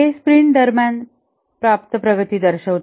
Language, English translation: Marathi, This represents the progress achieved during the sprint